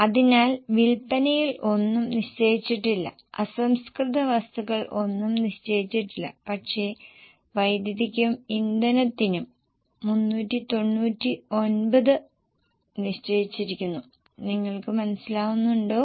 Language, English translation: Malayalam, So, in sales nothing is fixed, raw material nothing is fixed but for power and fuel 399 is fixed